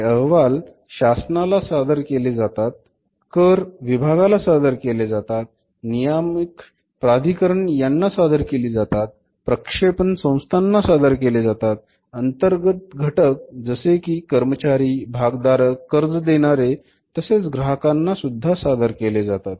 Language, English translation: Marathi, It is reported to the government, it is reported to the tax authorities, it is reported to the regulatory authorities, it is reported to the financial institutions, it is reported to the internal stakeholders like employees like our shareholders like your lenders or maybe the say customers